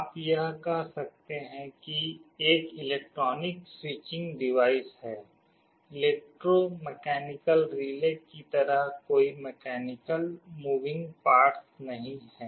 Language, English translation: Hindi, This you can say is an electronic switching device, there is no mechanical moving parts like in an electromechanical relay